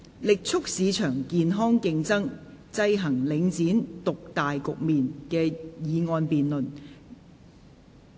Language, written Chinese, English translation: Cantonese, "力促市場健康競爭，制衡領展獨大局面"的議案辯論。, The motion debate on Vigorously promoting healthy market competition to counteract the market dominance of Link REIT